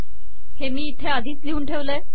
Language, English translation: Marathi, So I have already written it here